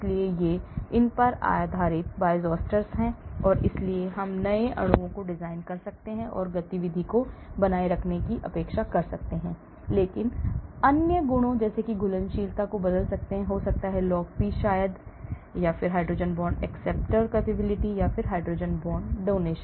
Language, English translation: Hindi, so these are Bioisosteres based on these and hence we can design new molecules and expect to maintain the activity same but change the other properties like solubility, maybe log P maybe, hydrogen bond acceptor capability or hydrogen bond donating capability